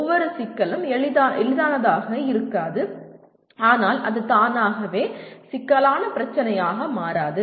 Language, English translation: Tamil, Every problem may not be easy but it does not become a complex problem automatically